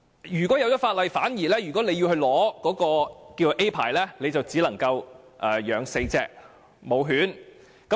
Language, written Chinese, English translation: Cantonese, 如果法例生效後，取得所謂甲類牌照便只能飼養4隻雌性狗隻。, After the Amendment Regulation comes into effect a person granted with Category A licence can keep four female dogs